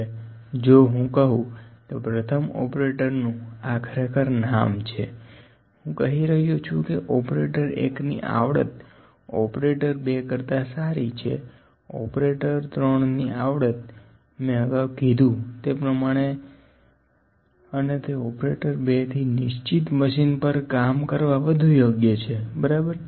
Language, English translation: Gujarati, Now if I say operator one’s this is actually the name operator one’s I am telling operator one’s skill is better than operator two’s skill, operator three’s skill as I said and it is better than operator two’s skill in working on a specific machine, ok